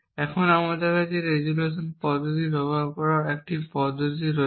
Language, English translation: Bengali, So, let us try and do the resolution method here